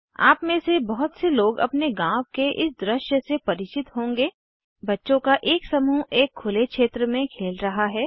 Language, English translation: Hindi, Many of you are familiar with this scene in your village a group of children playing in an open area